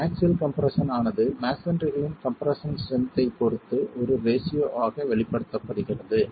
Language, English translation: Tamil, This axial compression expressed as a ratio with respect to the compressive strength of masonry